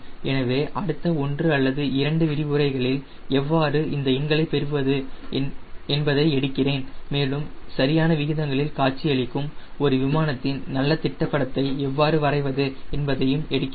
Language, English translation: Tamil, so maybe another one or two lecture i will take on how to get into all this numbers and when, at least draw a good sketch of an aeroplane which looks proportionate